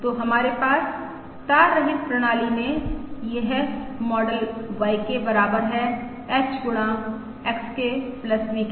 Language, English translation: Hindi, So we have this model: YK equals H times XK plus VK in the wireless system